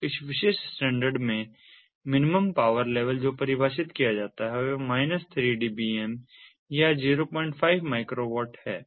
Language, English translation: Hindi, so the minimum power level that is defined in this particular standard is minus three dbm or point five microwatts